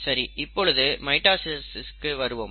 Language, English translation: Tamil, Today, let us talk about mitosis